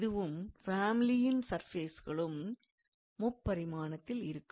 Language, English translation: Tamil, So, this and of course this family of surfaces, they are in three dimensional space